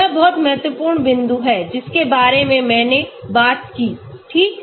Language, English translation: Hindi, This is very, very important point which I did talk about right